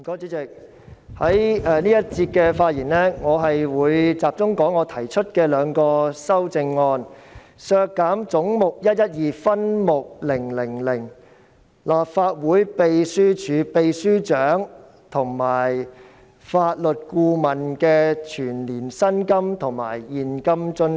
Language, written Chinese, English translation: Cantonese, 主席，我在這個環節的發言會集中講述我提出的兩項修正案，即削減總目 112， 分目 000， 立法會秘書處秘書長及法律顧問的全年薪金及現金津貼。, Chairman my speech in this session will be focused on the two amendments proposed by me that is reducing the annual salaries and cash allowances for the Secretary General and the Legal Adviser of the Legislative Council Secretariat under subhead 000 of head 112